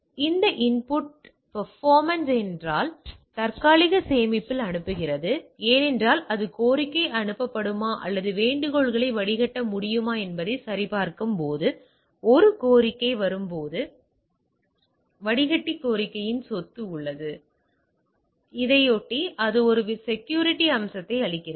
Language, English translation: Tamil, One is that input performance because it is sending on the cache another it has a property of filter request right when a request comes checking it that the whether request can be sent or not there filter the request, in turn it gives a some sort of a security feature